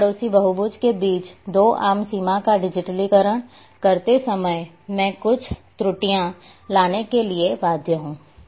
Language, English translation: Hindi, While digitizing the common boundary between two neighbouring polygons twice I am bound to bring some errors